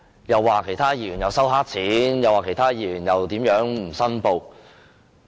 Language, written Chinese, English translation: Cantonese, 又說其他議員收黑錢、又說其他議員不申報利益。, They also said that some Members accepted dirty money and some Members did not declare interests